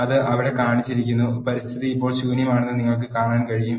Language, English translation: Malayalam, Which is shown there and you can see the environment is empty now